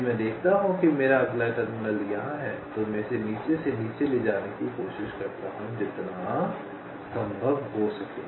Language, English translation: Hindi, if i see that my next terminal is here, i try to move it below, down below, as much as possible